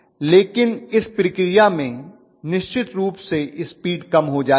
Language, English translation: Hindi, But in the process, the speed will come down definitely